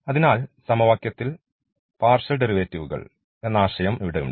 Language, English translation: Malayalam, So, here we have the notion of the partial derivates in the equation